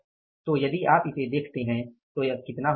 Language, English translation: Hindi, So, this is going to be how much